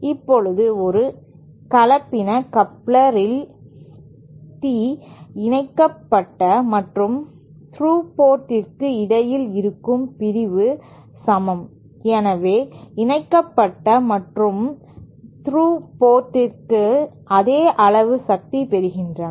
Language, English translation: Tamil, Now, in a hybrid coupler, the division between the coupled and through ports is equal, so coupled and through ports receive same amount of power